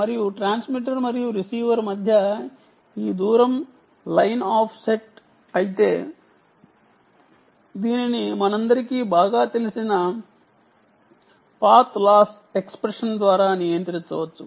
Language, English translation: Telugu, and this distance between the transmitter and receiver, if it is line of site, it can be governed by the path laws, expression ah, which we all know very well